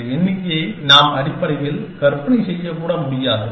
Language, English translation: Tamil, And that is the number, that we cannot even began to imagine essentially